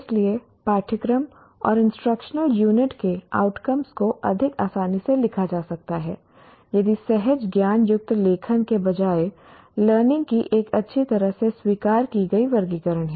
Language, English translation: Hindi, So outcomes of courses and instructional unit can be more conveniently written if there is a well accepted taxonomy of learning